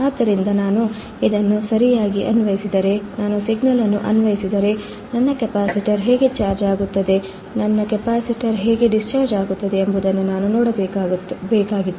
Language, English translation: Kannada, So, if I apply this one right, if I apply the signal, I had to see how my capacitor will charge and how my capacitor will discharge